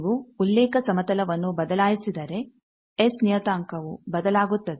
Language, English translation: Kannada, If you change the reference plane, the network analyser S parameter gets changed